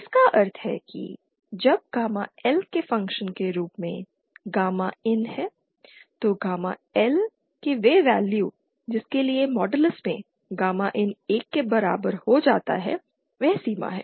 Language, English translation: Hindi, It means that when gamma in as a function of gamma L so those values of gamma L for which gamma in modulus becomes equal to 1 is that boundary